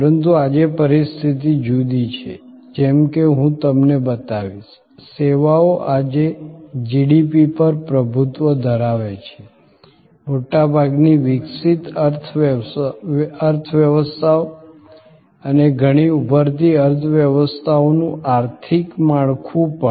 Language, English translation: Gujarati, But, today the situation is different, as I will show you, services today dominant the GDP, the economic structure of most developed economies and even many emerging economies